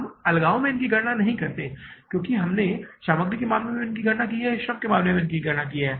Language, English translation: Hindi, We don't calculate them in isolation as we calculated in case of material or we calculated in case of labor